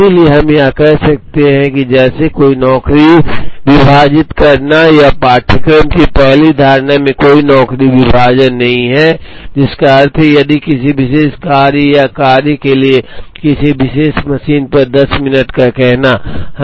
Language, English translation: Hindi, So, we could call that as, no job splitting or the first assumption of course is no job splitting, which means that, if a particular job or a task requires say 10 minutes on a particular machine